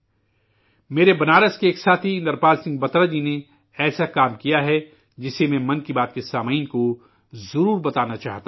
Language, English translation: Urdu, My friend hailing from Benaras, Indrapal Singh Batra has initiated a novel effort in this direction that I would like to certainly tell this to the listeners of Mann Ki Baat